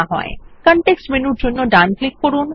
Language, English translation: Bengali, Right click for context menu and select Group